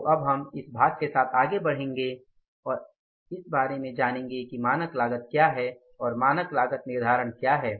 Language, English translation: Hindi, So now we will proceed further with this part and we will learn about that what is the standard cost and what is the standard costing